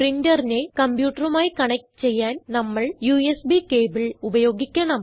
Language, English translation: Malayalam, To connect a printer to a computer, we have to use a USB cable